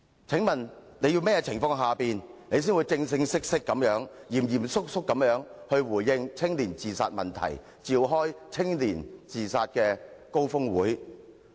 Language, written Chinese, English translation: Cantonese, 請問你要在甚麼情況下才會正式地、嚴肅地回應年青人的自殺問題，並召開關注青年自殺高峰會？, Can she tell us the prerequisites that will make her give a formal and serious response to the problem of youth suicide and convene a summit on this problem?